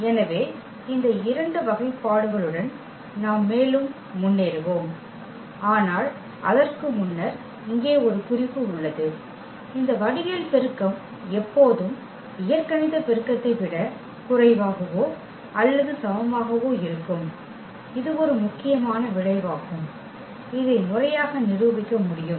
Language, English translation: Tamil, So, with these two classification we will move further, but before that there is a note here, that this geometric multiplicity is always less than or equal to the algebraic multiplicity, that is a important result which one can formally prove